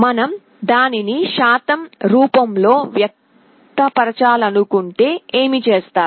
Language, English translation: Telugu, If we want to express it as a percentage, what do you do